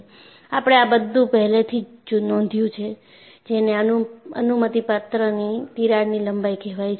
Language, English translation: Gujarati, And we have already noted that, there is something called permissible crack length